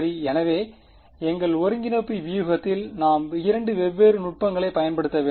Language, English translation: Tamil, So, therefore, in our integration strategy we have to use 2 different techniques